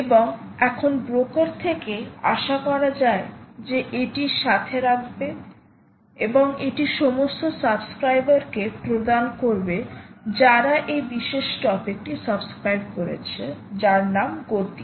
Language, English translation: Bengali, and now the broker is expected to keep it with it and give it to all subscribers who subscribe to this particular topic